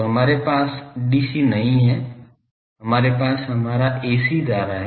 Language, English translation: Hindi, So, we do not have dc, we have our ac current